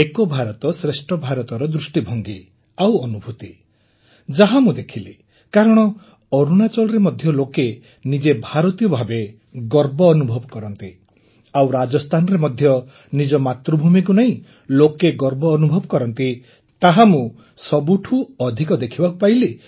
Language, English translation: Odia, Modi ji, the one similarity I found was the love for the country and the vision and feeling of Ek Bharat Shreshtha Bharat, because in Arunachal too people feel very proud that they are Indians and similarly in Rajasthan also people are proud of their mother land